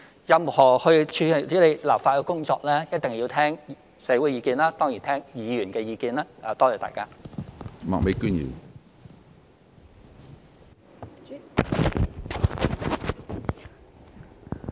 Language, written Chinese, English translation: Cantonese, 任何處理立法的工作，一定要聽社會的意見，也當然聽議員的意見。, We must listen to the views of society and surely that of Members in handling any legislative work